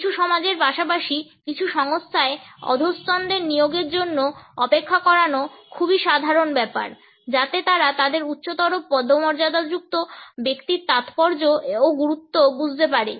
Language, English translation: Bengali, It is very common in certain societies as well as in certain organizations to make the subordinates wait for the appointments so that they can internalize the significance and importance or the higher rank of their superior